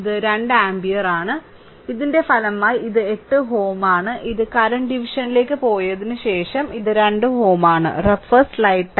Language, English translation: Malayalam, So, this is 2 ampere because of the resultant of this and this is 8 ohm this is 2 ohm after this you go to current division right